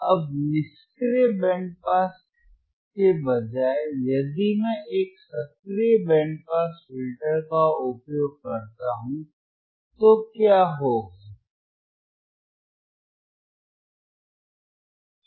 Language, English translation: Hindi, Now instead of passive band pass, if instead of passive band pass if I use if I use a active band pass filter if I use an active band pass filter,